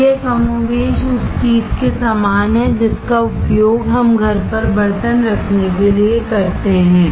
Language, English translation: Hindi, So, it is more or less similar to the thing that we use to hold the utensils at home